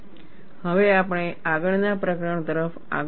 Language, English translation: Gujarati, Now, we move on to the next chapter